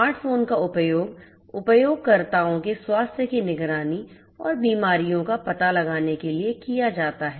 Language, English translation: Hindi, Smart phone is used to monitor the health of users and detect the diseases